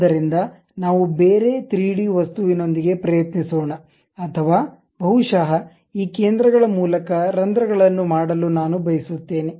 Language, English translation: Kannada, So, let us try with some other 3D object or perhaps I would like to make holes through these centers